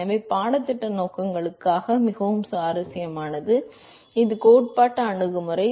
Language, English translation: Tamil, So, what is more interesting for the course purposes, it is theoretical approach